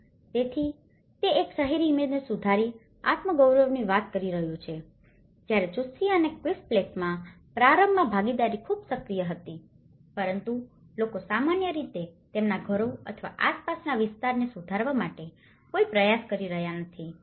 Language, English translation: Gujarati, So, that is talking about the self esteem by improving an urban image whereas in Chuschi and Quispillacta, participation was very active initially but the people, in general, are not making any effort to improve their homes or their surroundings